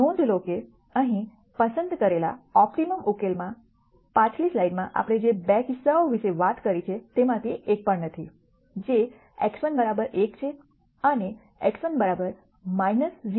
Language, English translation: Gujarati, Notice that the optimum solution here that is chosen does not have either one of the 2 cases that we talked about in the last slide, which is x 1 equal to 1 and x 1 equal to minus 0